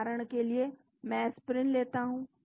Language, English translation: Hindi, for example, let me take Aspirin